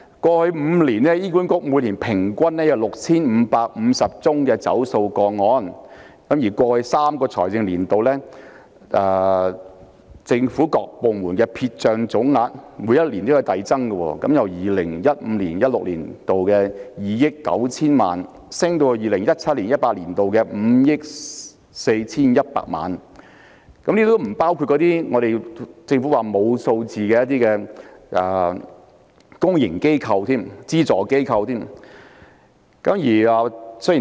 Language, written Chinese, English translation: Cantonese, 過去5年，醫院管理局每年平均有 6,550 宗欠費個案，而過去3個財政年度，政府各部門的撇帳總額每年遞增，由 2015-2016 年度的2億 9,000 萬元上升至 2017-2018 年度的5億 4,100 萬元，這尚不包括政府表示未能提供數據的公營機構及資助機構。, On the part of the Hospital Authority an average of 6 550 default cases was recorded in each of the past five years . Meanwhile the total amount written off yearly by various government departments in the past three financial years was on the rise from 290 million in 2015 - 2016 to 541 million in 2017 - 2018; worse still these amounts have not yet taken into account the write - offs incurred by public and subvented organizations because the Government said it had no information on their write - off amounts